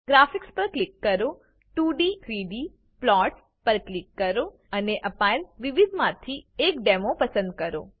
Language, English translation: Gujarati, Click on Graphics, click 2d 3d plots and select a demo out of the various demos provided